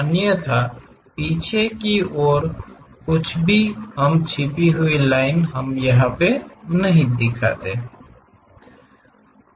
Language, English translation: Hindi, Otherwise, anything at back side we do not show it by hidden lines